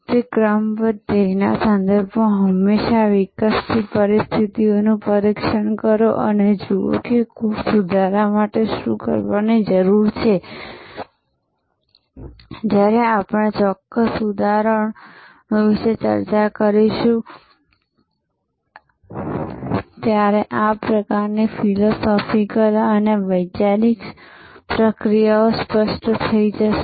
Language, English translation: Gujarati, Always test the evolving situation with respect to that super ordinal goal and see what needs to be done to course correction, when we discuss about certain specify examples these sort of philosophical a conceptual processes will become clear